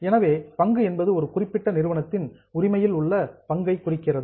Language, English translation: Tamil, So, share refers to the share in the ownership of a particular company